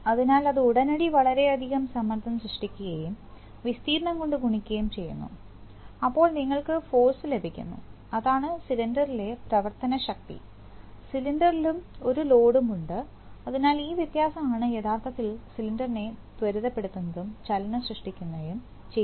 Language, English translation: Malayalam, So that immediately creates a lot of pressure and that multiplied by area, so you get the force, that is the acting force on the cylinder, there is a load on the cylinder also, so the difference actually accelerates the cylinder and creates the motion